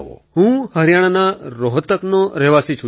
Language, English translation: Gujarati, I belong to Rohtak, Haryana Sir